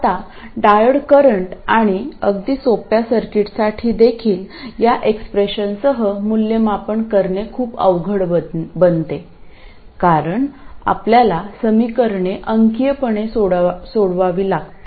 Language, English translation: Marathi, Now even with this expression for the diode current and even for very simple circuits, evaluation becomes very difficult because you have to solve equations numerically